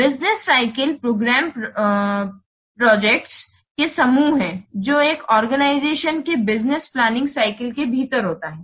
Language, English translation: Hindi, Business cycle programs, these are the groups of projects that are an organization undertakes within a business planning cycle